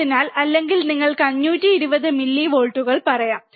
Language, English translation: Malayalam, So, or you can say 520 millivolts